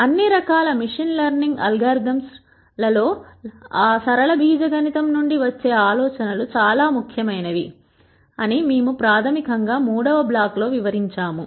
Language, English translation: Telugu, The third block that we have basically says that the ideas from linear algebra become very very important in all kinds of machine learning algorithms